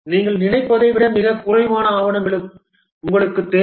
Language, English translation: Tamil, You need far less documentation than you think